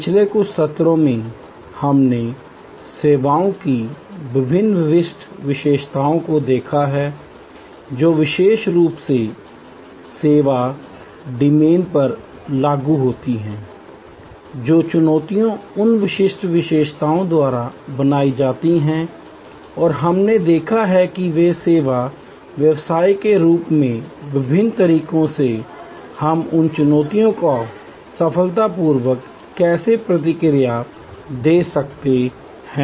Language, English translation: Hindi, In the last few sessions, we have looked at the different unique characteristics of services or characteristics that particularly apply to the service domain, the challenges that are created by those particular characteristics and we have seen how in different ways as a service business we can respond to those challenges successfully